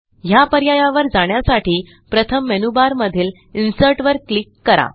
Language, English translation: Marathi, To access this option, first click on the Insert option in the menu bar